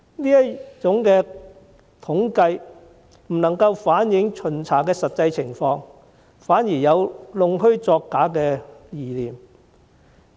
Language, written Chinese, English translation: Cantonese, 這種統計方式不能反映巡查的真實情況，反而有弄虛作假的嫌疑。, Such a computation method cannot reflect the actual circumstances of inspections and might be fraudulent